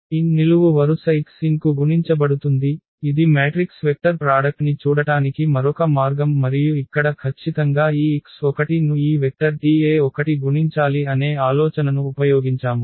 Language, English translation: Telugu, The column n will be multiplied to x n that is another way of looking at the matrix vector product and here exactly we have used that idea that this x 1 multiplied by this vector T e 1